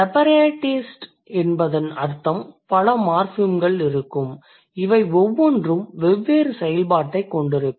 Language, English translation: Tamil, Separatism means there would be many morphemes and each of them will have a different function